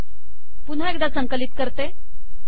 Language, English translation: Marathi, So let us compile once again